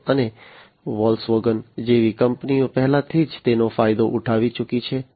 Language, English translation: Gujarati, And companies like Volkswagen have already you know benefited out of it